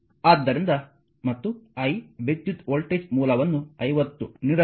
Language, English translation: Kannada, So, and the I current voltage source is given 50